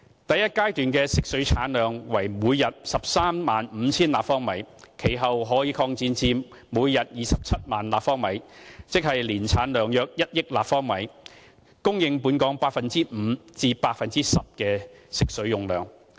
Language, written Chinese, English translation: Cantonese, 第一階段的食水產量為每天 135,000 立方米，其後可擴展至每天27萬立方米，即年產量約1億立方米，提供本港 5% 至 10% 的食水用量。, The first stage can produce 135 000 cu m of fresh water per day with provision for expansion to 270 000 cu m per day ie 100 million cu m per year to meet 5 % to 10 % of Hong Kongs water demand